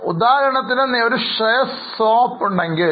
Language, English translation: Malayalam, For example, if there is a share swap